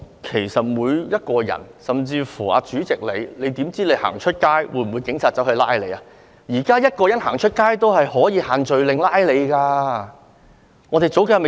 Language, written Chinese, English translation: Cantonese, 其實，所有人，包括主席都不知道出外會否被警察拘捕，現在也有人外出時因違反"限聚令"而被票控。, In fact all of us including the Chairman do not know whether we will be arrested by the Police when we go out . Nowadays some people are charged for violating the group gathering restrictions when they go out